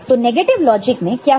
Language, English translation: Hindi, So, in the negative logic, what happens